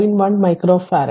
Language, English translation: Malayalam, 1 micro farad